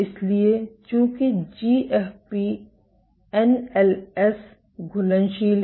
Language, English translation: Hindi, So, since GFP NLS is soluble